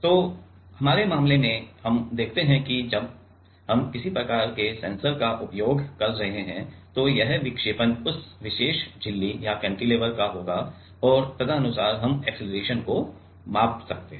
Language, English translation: Hindi, So, in our case, let us see if we while we are using some kind of sensor this deflection of will be of that particular membrane or cantilever and accordingly we can measure the acceleration